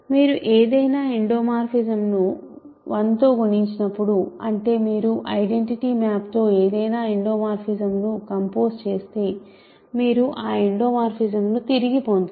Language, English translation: Telugu, So, when you multiply any endomorphism with 1; that means, your composing any endomorphism with the identity map, you get that endomorphism back